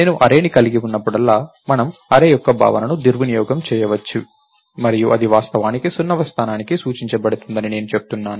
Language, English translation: Telugu, Whenever I have an array, I I have been saying that we can abuse the notion of an array and say that its actually pointed to the 0th location